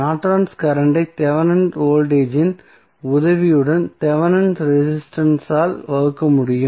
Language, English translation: Tamil, Norton's current can be calculated with the help of Thevenin's voltage divided by Thevenin resistance